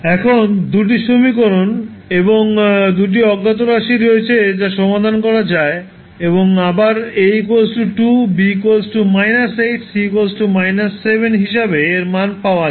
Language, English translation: Bengali, Now, you have two equations and two unknowns, you can solve and you will get the value again as A is equal to 2, B is equal to minus 8 and C is equal to seven